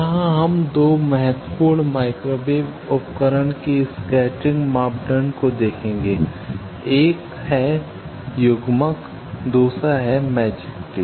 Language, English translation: Hindi, Here we will see the scattering parameter of 2 very important microwave device one is Coupler another is Magic Tee